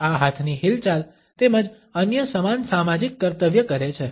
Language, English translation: Gujarati, These hand movements as well as similar other perform a social function